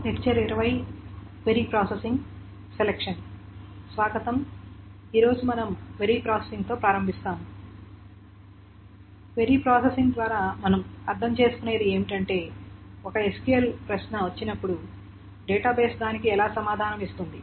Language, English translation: Telugu, So, what do we mean by a query processing is that when a query comes, for example, an SQL query comes, how does the database actually answer it